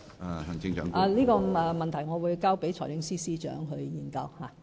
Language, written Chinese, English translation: Cantonese, 我會把這個問題交給財政司司長研究。, I will refer this issue to the Financial Secretary for his consideration